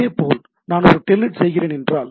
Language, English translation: Tamil, Similarly, if I am doing a say telnet